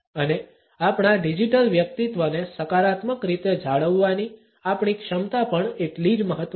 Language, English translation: Gujarati, And equally important is our capability to maintain our digital personality in a positive manner